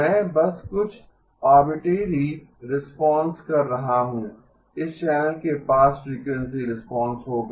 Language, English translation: Hindi, I am just doing some arbitrary response; this channel will have a frequency response